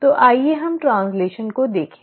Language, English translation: Hindi, So let us look at translation